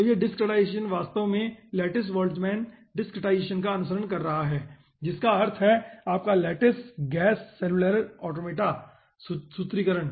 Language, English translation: Hindi, so this we, this discretization, is actually following lattice boltzmann discretization, that means your lattice gas cellular automata formulations